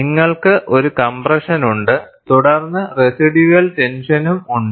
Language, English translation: Malayalam, And you have a compression, followed by residual tension